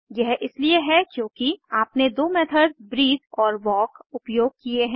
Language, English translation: Hindi, This is because you have invoked the two methods breathe and walk